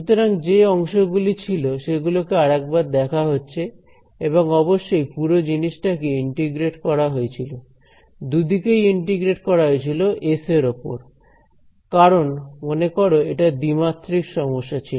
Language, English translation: Bengali, So, this is just reviewing the terms that we had and of course, this whole thing was integrated both sides were integrated over s remember s because it is a 2D problem